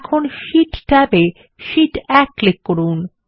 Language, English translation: Bengali, Now, on the Sheet tab click on Sheet 1